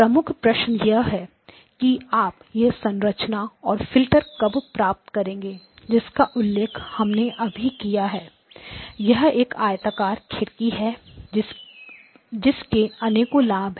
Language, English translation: Hindi, Now the key point is when you have a structure of this form the filter that we just now talked about; this is a rectangular window has got a lot of advantages